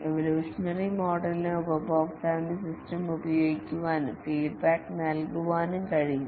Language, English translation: Malayalam, Evolutionary model has the advantage that the customer can use the system and give feedback